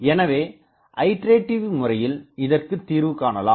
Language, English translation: Tamil, So, iteratively we will have to solve it